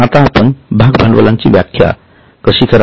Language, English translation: Marathi, Now how do you define share capital